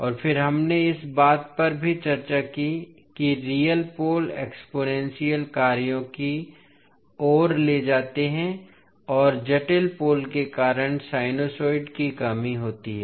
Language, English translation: Hindi, And then we also discussed that real poles lead to exponential functions and complex poles leads to damped sinusoids